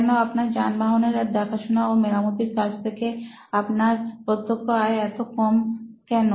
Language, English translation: Bengali, Why is your direct revenue from automobile servicing so low